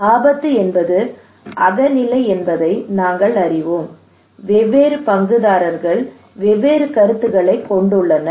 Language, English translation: Tamil, that we know that risk is subjective, different stakeholders have different perceptions